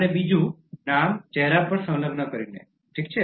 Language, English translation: Gujarati, And the second one by tying the name to the face, okay